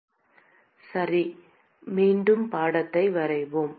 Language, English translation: Tamil, Okay, so let us draw the picture again